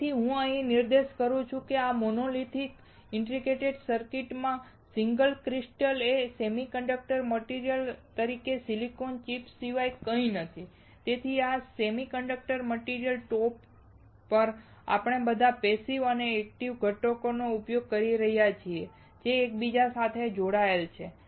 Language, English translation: Gujarati, So, the point I am making here is that the single crystal in this monolithic integrated circuit is nothing but a silicon chip as a semiconductor material and on top of this semiconductor material, we are using all the passive and active components which are interconnected